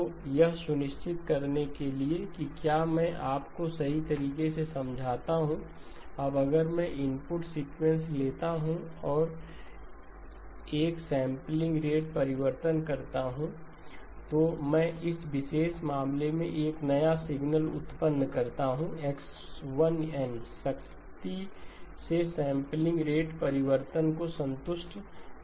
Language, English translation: Hindi, So the question to make sure if I understand you correctly, now if I take input sequence and I do a sampling rate change I produce a new signal in this particular case x1 of n strictly does not satisfy the sampling rate change